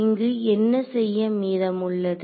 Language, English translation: Tamil, So, what remains to be done here